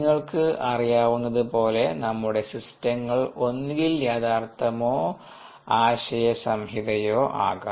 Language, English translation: Malayalam, a systems, as you know, could be either real or conceptual